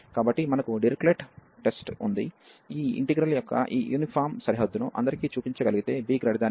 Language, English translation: Telugu, So, the conclusion we have the Dirichlet test, which says that if we can show this uniform boundedness of this integral for all b greater than 1